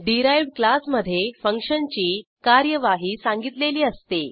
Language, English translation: Marathi, It is upto a derived class to implement the function